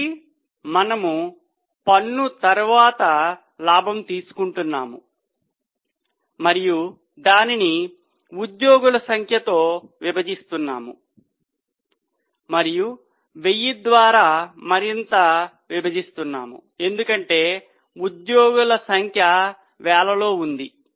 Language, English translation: Telugu, So, we are taking profit after tax and dividing it by number of employees and further dividing back 1,000 because number of employees